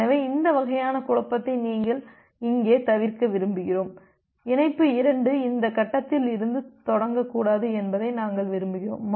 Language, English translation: Tamil, So we want to avoid this kind of confusion here, that we want that well the connection 2 should not initiate from this point